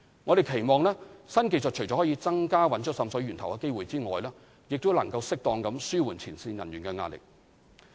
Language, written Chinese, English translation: Cantonese, 我們期望，新技術除可增加找出滲水源頭的機會外，亦能適當地紓緩前線人員的壓力。, We anticipate that the new technologies can increase the chance of identifying the sources of water seepage and suitably relieve the stress of frontline staff